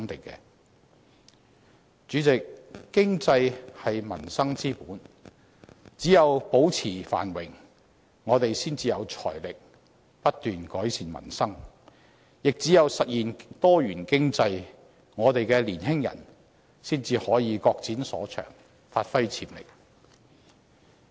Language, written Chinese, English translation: Cantonese, 主席，經濟是民生之本，只有保持繁榮，我們才有財力不斷改善民生，亦只有實現多元經濟，我們的年輕人才可以各展所長，發揮潛力。, President the economy lays the foundation for livelihood . Only under a persistently prosperous economy can we have the financial means to keep improving peoples livelihood; and only under a diversified economy can the young apply their respective strengths and realize their potential